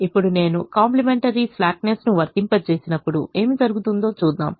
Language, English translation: Telugu, so let us go back and see what happens when we apply the complimentary slackness condition